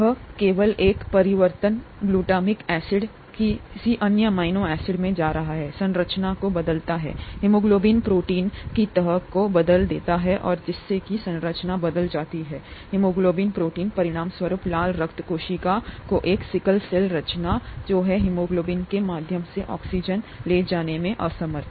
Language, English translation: Hindi, Just one change here, glutamic acid going to some other amino acid, changes the structure, the folding of the haemoglobin protein and thereby changes the structure of the haemoglobin protein, as a result it, I mean, a sickle cell structure of the red blood cell results which is unable to carry oxygen through haemoglobin